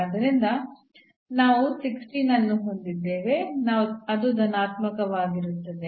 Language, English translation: Kannada, So, we have the 16, which is positive